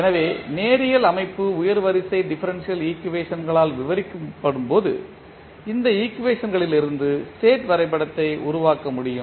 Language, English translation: Tamil, So, when the linear system is described by higher order differential equations the state diagram can be constructed from these equations